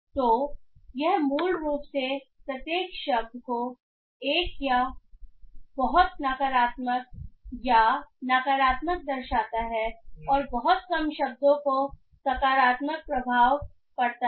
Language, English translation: Hindi, So, it basically shows each word to be either very negative or negative and very few words to have a positive impact